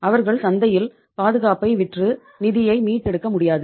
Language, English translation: Tamil, They cannot sell the security in the market and recover the funds